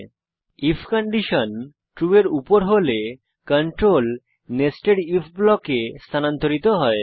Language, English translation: Bengali, when if condition above is true, control moves into nested if block